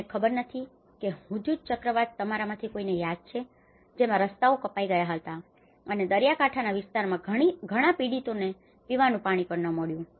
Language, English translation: Gujarati, I do not know if any of you remember after the Hudhud cyclone, the roads have been cut off and being a coastal area, many victims have not even got drinking water